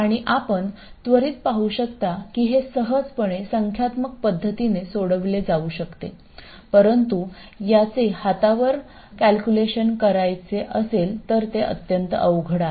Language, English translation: Marathi, And you can immediately see that this can be solved very easily numerically but hand calculation of this is very very painful